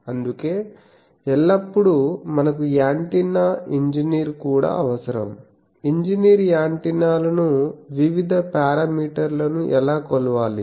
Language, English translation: Telugu, So, that is why always we need also an engineer’s antenna, engineer should know that how to measure antennas various parameters important radiation parameters